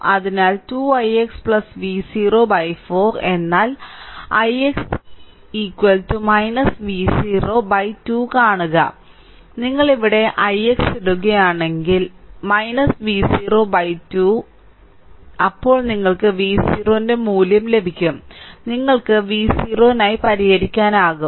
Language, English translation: Malayalam, So, 2 i x plus V 0 by 4, but i x is equal to minus V 0 by 2 see, if you put i x is here minus V 0 by 2 minus V 0 by 2, then you will get the value of V 0, you can solve for V 0 that, what we have done next right